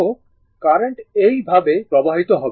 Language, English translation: Bengali, So, current will flow like this